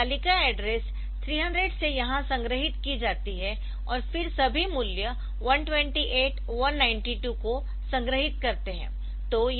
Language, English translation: Hindi, So, this table is stored from address 300 here and then am storing all the value 128 192